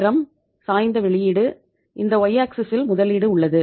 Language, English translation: Tamil, Time, oblique output, and on the this axis y axis we have the investment